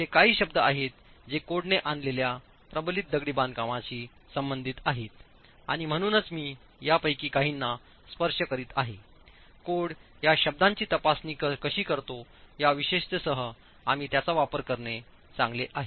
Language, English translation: Marathi, There are few words which are specific to reinforce masonry which the code has introduced and therefore I'm just touching upon some of these which we it's better we use it specific to how the code examines these words